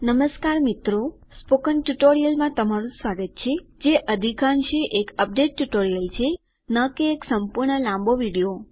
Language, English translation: Gujarati, Hello everyone, welcome to this Spoken Tutorial, which is more of an update tutorial and not a full length video